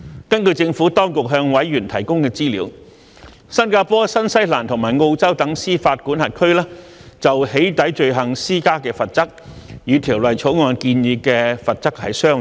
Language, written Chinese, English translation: Cantonese, 根據政府當局向委員提供的資料，新加坡、新西蘭及澳洲等司法管轄區就"起底"罪行施加的罰則，與《條例草案》建議的罰則相若。, According to the information provided by the Administration to members the penalties for doxxing offences in other jurisdictions such as Singapore New Zealand and Australia are similar to those proposed in the Bill